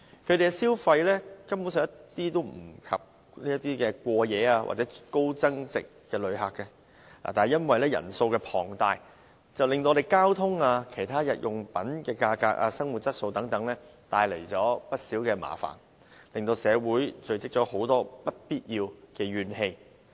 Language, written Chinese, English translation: Cantonese, 他們的消費根本及不上過夜或高增值旅客，而且因為其人數龐大，更為我們的交通、日用品價格、生活質素等帶來不少麻煩，令社會積聚了很多不必要的怨氣。, Their spending level is not comparable to that of overnight visitors or high value - added visitors . Besides the influx of non - overnight visitors has brought problems to our transport services pushed up commodity prices and affected the publics quality of living . Undue public grievances have thus accumulated